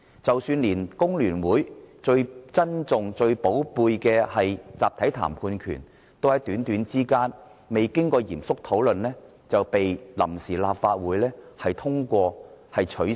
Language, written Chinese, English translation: Cantonese, 即使連工聯會最重視的集體談判權，都在極短的時間內，未經過嚴肅討論就被臨時立法會取消。, Even the right of collective bargaining to which much importance was attached by the Hong Kong Federation of Trade Unions was abolished by the Provisional Legislative Council swiftly without serious deliberation